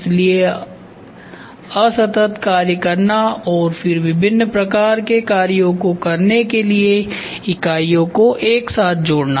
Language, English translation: Hindi, So, performing discrete functions and then connecting the units together to provide a variety of functions